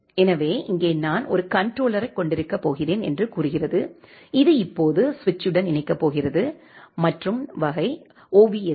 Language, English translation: Tamil, So, here it says that I am going to have a controller which is now going to connected with the switch and those which are of type ovsk switches